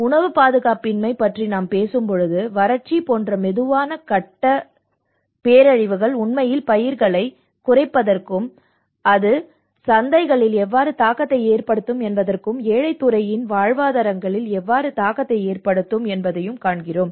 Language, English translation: Tamil, When we talk about the food insecurity, we see a slow phase disasters like the drought, you know how it can actually yield to the reduction of crops and how it will have an impact on the markets and how it turn impact on the livelihoods of the poor sector